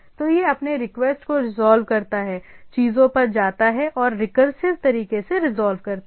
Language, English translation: Hindi, So, it go on resolving it request goes on the things and resolving in a recursive way